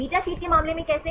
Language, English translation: Hindi, How about in the case of beta sheets